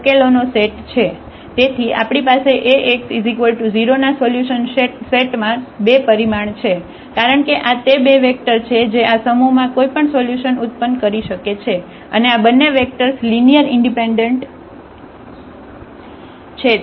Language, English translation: Gujarati, So, the solution set of Ax is equal to 0 we have the dimension 2, because these are the two vectors which can generate any solution of this set and these two vectors are linearly independent